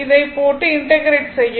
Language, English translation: Tamil, This you put and integrate it